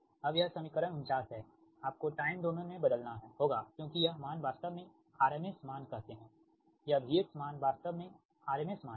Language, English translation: Hindi, now, this equation forty nine you have to transform to time domain, because this value, actually its, say, r m s value, this v x value, actually it's a r m s value